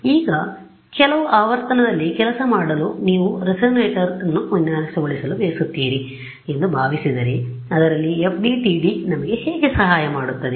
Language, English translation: Kannada, Now, supposing you want to design a resonator to work at some frequency how will FDTD will help us in that